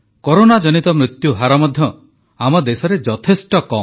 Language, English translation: Odia, The mortality rate of corona too is a lot less in our country